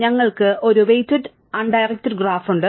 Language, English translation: Malayalam, We have a weighted undirected graph